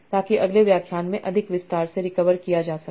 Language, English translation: Hindi, So that will be covered in more details in the next lecture